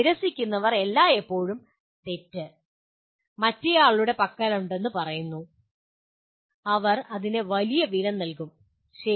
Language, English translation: Malayalam, Those who refuse, say always the fault lies with the other person, they will pay a heavy price for that, okay